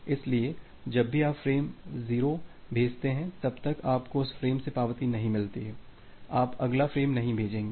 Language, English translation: Hindi, So, whenever you have send frame 0, unless you are getting the acknowledgement from that frame; you will not send the next frame